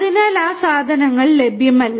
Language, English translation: Malayalam, So, those things are not available